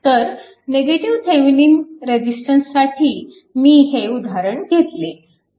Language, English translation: Marathi, So, this is one example I give for negative Thevenin resistance right ok